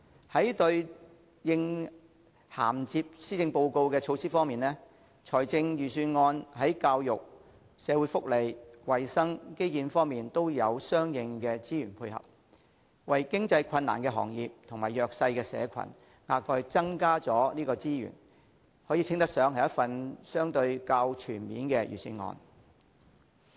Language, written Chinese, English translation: Cantonese, 在對應銜接施政報告的措施方面，預算案在教育、社會福利、衞生及基建方面都有相應的資源配合，為經營困難的行業及弱勢社群額外增加資源，稱得上是一份相對較全面的預算案。, In dovetailing with the measures contained in the Policy Address the Budget has allocated corresponding resources in education social welfare health care and infrastructure . It has also provided additional resources for industries with operational difficulties and for the disadvantaged groups . Thus it can be said that the Budget is rather comprehensive